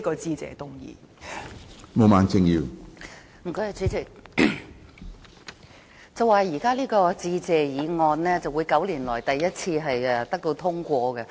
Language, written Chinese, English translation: Cantonese, 主席，有說法指這項致謝議案會是9年來首次獲得通過的致謝議案。, President it is said that this Motion of Thanks would be the first to get passed in nine years